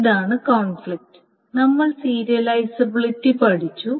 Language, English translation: Malayalam, So this is a conflict and we have studied serializability